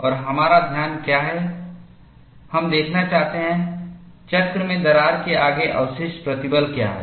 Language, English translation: Hindi, And what is our focus is, we want to see, what is a residual stress ahead of a crack, in a cycle